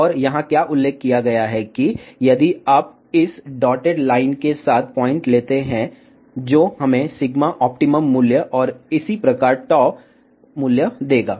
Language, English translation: Hindi, And what is mentioned here that if you take the point along this dotted line, that will give us the optimum value of the sigma and correspondingly tau value